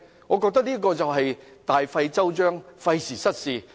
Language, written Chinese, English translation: Cantonese, "我覺得這是大費周章，費時失事。, I think this is a waste of both time and energy much ado about nothing